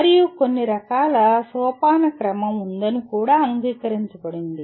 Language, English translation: Telugu, And it is also accepted there is certain kind of hierarchy